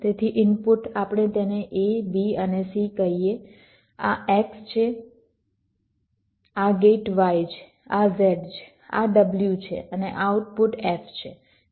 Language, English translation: Gujarati, this is x, this gate is y, this is z, this is w and the output is f